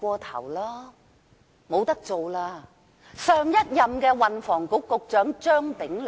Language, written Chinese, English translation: Cantonese, 他就是上任運輸及房屋局局長張炳良。, He was the former Secretary for Transport and Housing Anthony CHEUNG